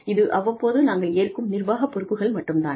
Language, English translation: Tamil, It is just occasional administrative responsibilities